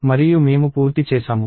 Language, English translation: Telugu, And we are done